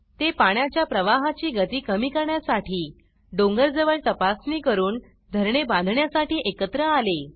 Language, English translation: Marathi, They came together to construct check dams near the hill, to reduce water flow speed